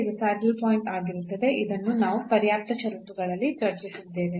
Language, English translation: Kannada, So, it will be a saddle point, which we have discussed in the in the sufficient conditions